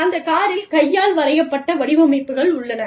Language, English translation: Tamil, And, there is hand painted, there are hand painted designs, on the car